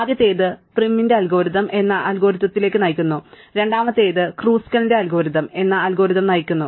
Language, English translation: Malayalam, The first one leads to an algorithm called Prim's algorithm, and the second one leads to an algorithm called Kruskal's algorithm